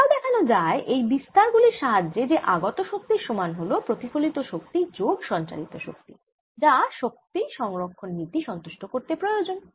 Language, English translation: Bengali, you can also show with these amplitudes that the energy coming in is equal to the energy reflected plus energy transmitted, which is required by energy conservation